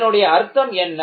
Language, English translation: Tamil, What is the meaning of that